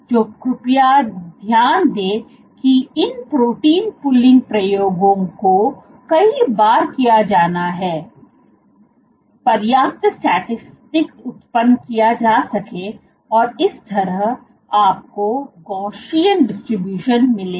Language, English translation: Hindi, So, please note that these protein pulling experiments have to be done several times, So, as to generate enough statistics, and that is how you will get the Gaussian distribution